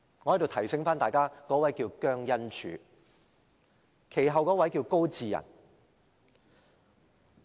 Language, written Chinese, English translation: Cantonese, 我在此提醒大家，那位是姜恩柱，其後一位是高祀仁。, Let me remind Members that the then Director was JIANG Enzhu who was succeeded by GAO Siren